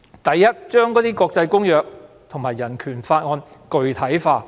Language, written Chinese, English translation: Cantonese, 第一，要將國際公約和人權法具體化。, First the rights in the international covenants and the Bill of Rights have to be specified